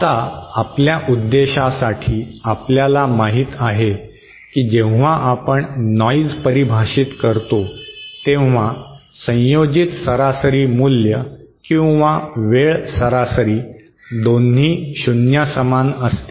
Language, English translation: Marathi, Now for our purpose you know when we define noise, the average value that is the ensemble average or the time average both are equal to 0